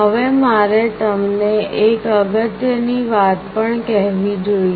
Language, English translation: Gujarati, Now I should also tell you one important thing